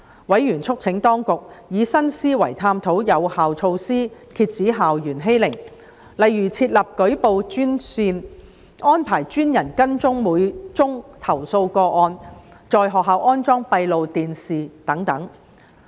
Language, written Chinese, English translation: Cantonese, 委員促請當局以新思維探討有效措施，遏止校園欺凌，例如設立舉報專線、安排專人跟進每宗投訴個案、在學校安裝閉路電視等。, Members urged the Administration to explore effective measures with a new mindset to curb school bullying such as setting up a dedicated reporting hotline arranging dedicated officers to follow up every case installing closed - circuit television monitoring systems in schools etc